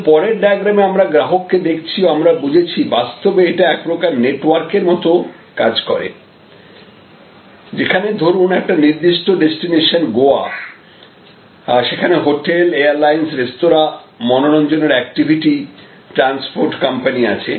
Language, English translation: Bengali, But, in the next diagram we look at customers and we have just understood that this itself is actually a network and then, there are hotels, airlines, restaurants, entertainment activities, transportation companies of a particular destination say Goa